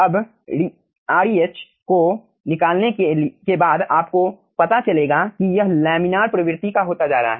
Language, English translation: Hindi, now, after finding out this reh, if you find out this is becoming laminar regime